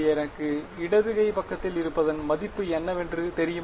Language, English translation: Tamil, Do I know the value of the left hand side